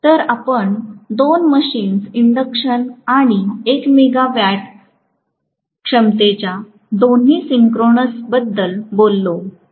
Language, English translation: Marathi, So, if I talk about two machines induction and synchronous both of 1 megawatt capacity